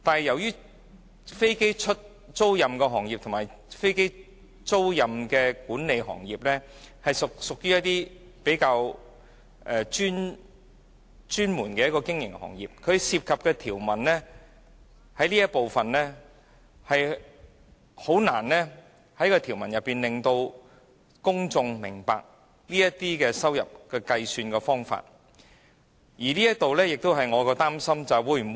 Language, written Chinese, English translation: Cantonese, 由於飛機租賃行業和飛機租賃管理是比較專門的經營行業，它所涉及的這一部分條文，實在難以單憑條文本身，令公眾明白這些收入的計算方法，而這亦是我比較擔心的一部分。, Given that the aircraft leasing industry and aircraft leasing management activities are comparatively specialized business operations and as evidenced by the drafting of the provisions under this Part it is indeed difficult for members of the public to understand the method of computation of such trading receipts solely from the provisions per se . This is a cause of worry and concern for me